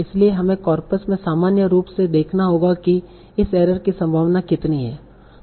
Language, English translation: Hindi, So we'll have to see in general in corpus how likely is this error